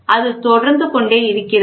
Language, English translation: Tamil, So, it keeps on continuing